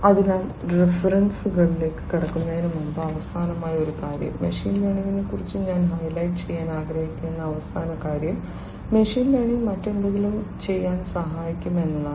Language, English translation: Malayalam, So, one last thing before we get into the references, one last thing that I would like to highlight about machine learning is that machine learning can help do something else as well